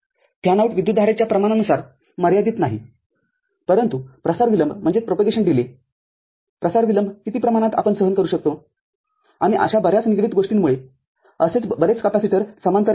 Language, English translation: Marathi, The fanout is not limited by amount of current, but the propagation delay amount of propagation delay we can tolerate and because more such things connected, more such capacitances will come in parallel